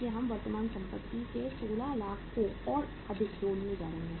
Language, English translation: Hindi, So we are going to add up the 16 lakhs of the current assets more